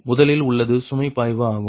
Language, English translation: Tamil, right, so that it first is load flow